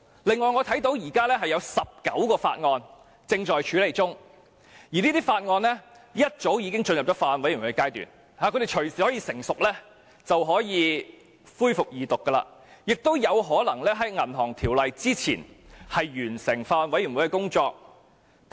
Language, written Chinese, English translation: Cantonese, 此外，我看到現時有19項法案正在處理中，早已進入了法案委員會階段，一旦成熟就隨時可以恢復二讀，亦有可能比《條例草案》更早完成法案委員會的工作。, Moreover I notice that this Council is now dealing with 19 Bills and they are at the Bills Committee stage meaning the Second Reading of these Bills may be resumed anytime the Bills Committees consider mature . The examination of these Bills at the Bills Committees may be completed earlier than the present Bill